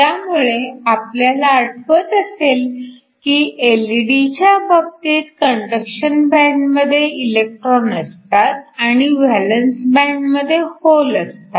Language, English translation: Marathi, So, if you remember in the case of an LED we had electrons in the conduction band and holes in the valence band and these 2 recombine in order to give you radiation